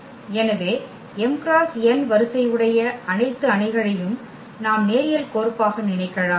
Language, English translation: Tamil, So, all matrices of order this m cross n we can think as linear map